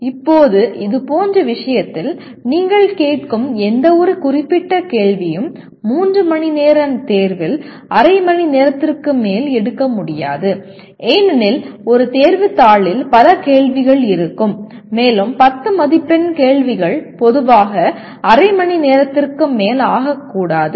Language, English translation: Tamil, Now in such a case, and any particular question that you ask cannot take in a 3 hour exam more than half an hour because an exam paper will have several questions and a 10 mark questions should take normally not more than half an hour